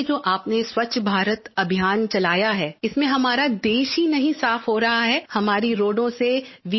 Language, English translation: Hindi, And the Swachch Bharat Campaign that you have launched will not only clean our country, it will get rid of the VIP hegemony from our roads